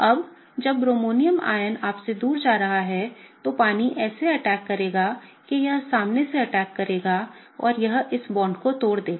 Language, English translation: Hindi, Now when the bromonium ion is going away from you water will attack such that it attacks from the front and it will break this bond